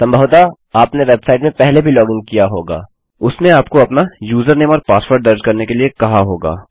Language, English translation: Hindi, Youve probably logged into a website before and it said to enter your username and password